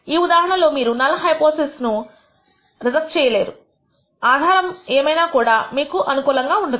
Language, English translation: Telugu, In which case you will never reject a null hypothesis whatever be the evidence you get that is not fair